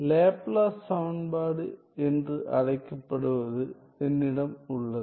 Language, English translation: Tamil, So, I have the so called Laplace equation